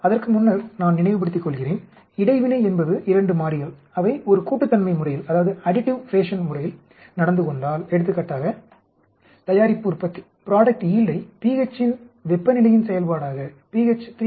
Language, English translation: Tamil, Before let me recollect, interaction is, if 2 variables they behave in an additive fashion for example if I am looking at the product yield as a function of temperature in pH at a particular value of pH 3